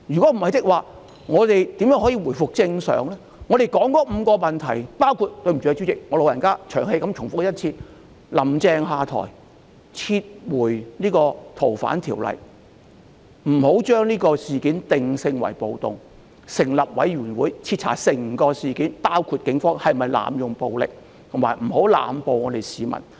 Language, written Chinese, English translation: Cantonese, 我們提出的5項訴求，主席，很抱歉，請恕我"老人家"長氣重複一次："林鄭"下台、撤回條例草案、不要把事件定性為暴動、成立委員會徹查整宗事件，包括警方有否濫用武力，以及不要濫捕市民。, Our five demands President sorry for nagging as I am an old man please pardon me for repeating them once again Carrie LAM to step down; to withdraw the Bill; to recall the categorization of the assembly as a riot; to set up a committee to conduct a thorough investigation into the entire incident including whether the Police have employed force abusively; and not to arrest members of the public indiscriminately